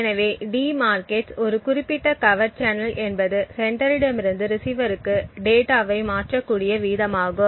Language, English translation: Tamil, So, one thing that de markets a particular covert channel is the rate at which data can be transferred from the sender to the receiver